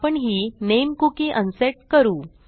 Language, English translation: Marathi, So Ill unset this name cookie